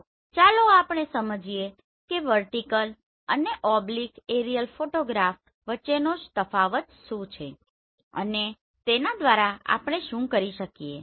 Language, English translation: Gujarati, So let us understand what is the difference between vertical and oblique aerial photographs and what we can do with vertical and oblique photographs